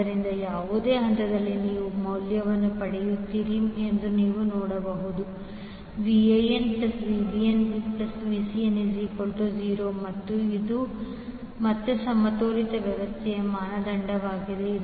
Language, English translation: Kannada, So, you can see at any point you will get the value of Va, Van plus Vbn plus Vcn will always be 0 and this is again the criteria for a balanced system